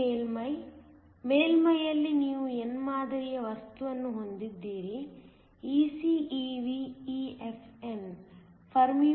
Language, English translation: Kannada, This is the surface; at the surface, you have an n type material, so EC, EV, EFn